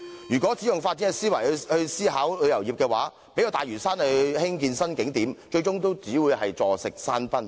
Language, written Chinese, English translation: Cantonese, 如果只用發展思維來思考旅遊業，即使用大嶼山興建新景點，最終也只會坐食山崩。, If we merely approach the tourism industry with a mindset focusing on development we will eventually use up our fortune even if we develop new tourist attractions in Lantau